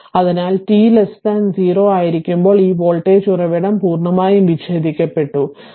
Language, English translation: Malayalam, So, when it was t less than 0 this voltage source is completely disconnected, right